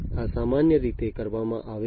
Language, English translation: Gujarati, This is typically what is done